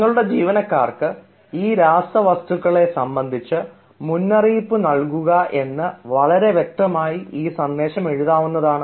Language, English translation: Malayalam, so the same sentence can be written very clearly if we say: warn your employees about these chemicals